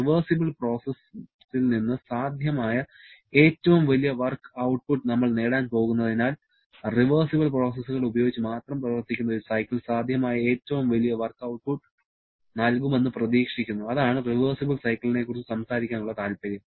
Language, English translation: Malayalam, And as we are going to get the largest possible work output from a reversible process, so a cycle which works only using reversible cycles sorry reversible processes is expected to give the largest possible work output and that is the interest of talking about a reversible cycle